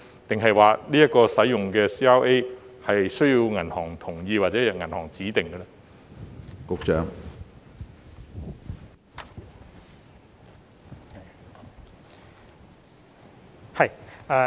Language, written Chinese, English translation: Cantonese, 抑或所選用的 CRA 須經銀行同意或由銀行指定？, Or the choice of CRAs must be approved or appointed by banks?